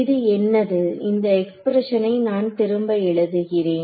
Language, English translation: Tamil, So, what is this let us rewrite this expression over here